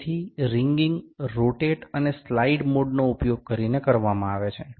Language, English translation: Gujarati, So, the wringing is done using rotate and slide mode